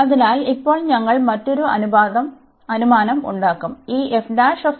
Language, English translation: Malayalam, So, now we will make another assumption